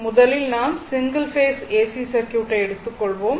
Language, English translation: Tamil, So, first we will now we will start with Single Phase AC Circuit, right